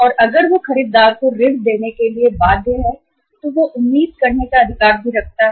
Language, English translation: Hindi, And if he is bound to give the credit to the buyer he is also have he also has the right to expect the credit from the supplier